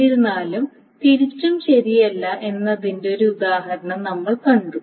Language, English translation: Malayalam, However, of course we saw an example that the vice versa is not true